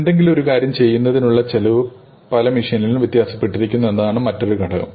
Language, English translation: Malayalam, The other factor is of course that the cost of doing something varies across machines